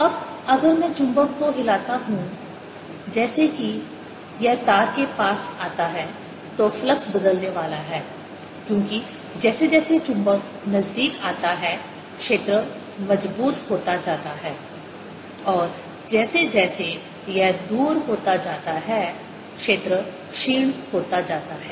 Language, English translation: Hindi, now, if i shake the magnet as it comes near the wire, the flux is going to change because as the magnet comes nearer, the field becomes stronger and as it goes away, field becomes weaker again